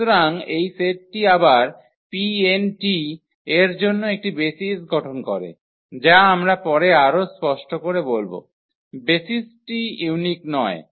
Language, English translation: Bengali, So therefore, this set forms a basis for P n t again which we will also come later on to more clarification, the basis are not unique